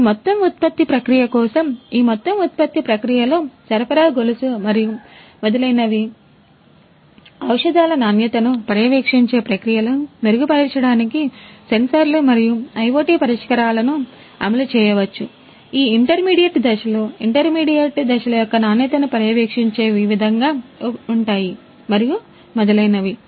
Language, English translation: Telugu, So, for this entire production process, in this entire production process the supply chain and so on, sensors and IoT solutions could be deployed in order to improve the processes to monitor the quality of the drugs, the intermediate steps monitoring the quality of these intermediate steps and so on